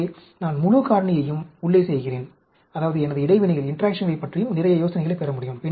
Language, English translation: Tamil, So, I do the full factorial inside; that means, I can get some, quite a lot of idea about my interactions also